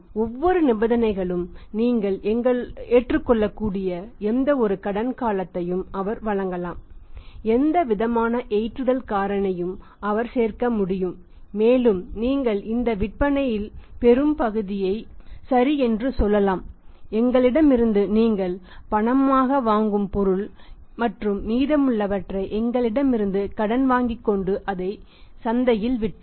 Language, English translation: Tamil, It is up to him that any kind of the conditions you can accept any kind of the credit period he can give any kind of the say loading factor he can apply on that and you can say that ok this much of the sales you you you you this much of the material you buy from us on cash and the remaining you buy from us on credit and then sell sell that in the market